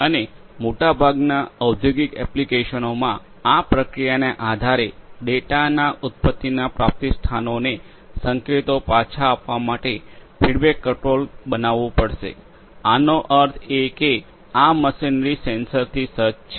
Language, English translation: Gujarati, And, based on this processing in most of the industrial applications a feedback control will have to be created for feeding thus feeding the signals to the source of the origination of the data; that means, these machinery fitted with the sensors